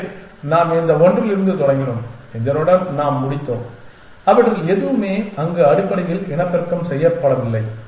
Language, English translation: Tamil, So, we started with this one and we ended up with this and none of them are reproduce there essentially